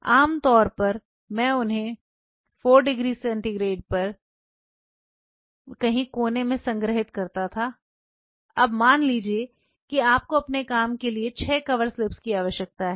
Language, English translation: Hindi, Generally, I used to store them in 4 degrees centigrade somewhere in the corner now suppose today you need 6 covered slips for your work